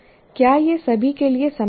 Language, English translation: Hindi, And is it the same for all